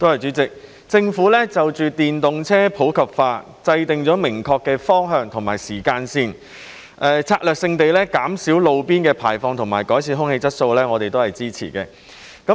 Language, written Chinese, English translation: Cantonese, 主席，政府就電動車普及化制訂明確的方向和時間線，策略性地減少路邊排放和改善空氣質素，我們也會支持。, President the Government has set down a clear direction and timeline for popularization of EVs to strategically reduce roadside emissions and improve air quality and we support it